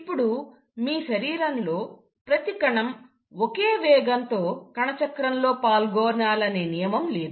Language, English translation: Telugu, Now, it's not necessary that each and every cell of your body will undergo cell cycle at the same rate